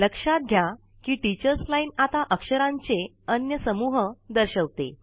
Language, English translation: Marathi, Notice, that the Teachers Line now displays a different set of characters